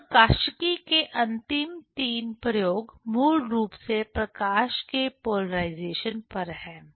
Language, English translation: Hindi, Then the last three experiments in optics are basically on polarization of light